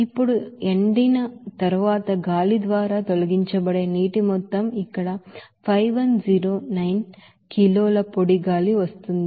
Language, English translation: Telugu, Now amount of water that is removed by air after drying then it will be as simply here that 5109 kg of dry air is coming